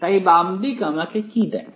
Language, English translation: Bengali, So, what does the left hand side give me